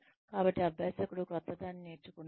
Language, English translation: Telugu, So, the learner has learnt, something new